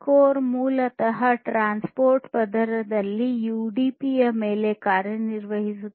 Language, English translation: Kannada, So, core basically works on top of UDP in the transport layer